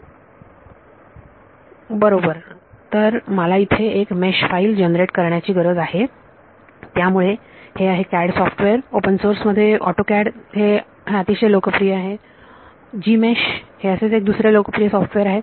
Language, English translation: Marathi, Right so, I need to generate a mesh file right so, that is CAD software autoCAD is a popular one in open source there is over Gmesh is one popular software